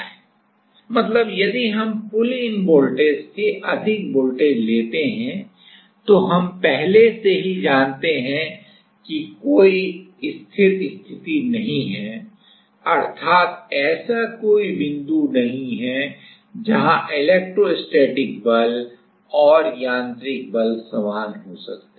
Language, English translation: Hindi, So, if we take more voltage than pullin voltage; then already, we know that there is no stable condition, means; there is no point where the electrostatic force and the mechanical force can be same